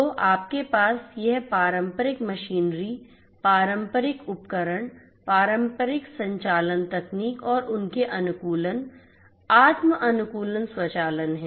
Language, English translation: Hindi, So, you have this traditional machinery, the traditional equipments, the traditional operational technologies and their optimization, self optimization, automation and so on